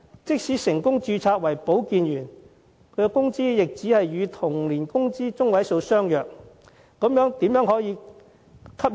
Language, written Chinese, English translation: Cantonese, 即使成功註冊為保健員，工資也只是與同齡的工資中位數相若。, Even if they can be successfully registered as health workers they can just get a pay on a par with the median wage of their peers in the same age group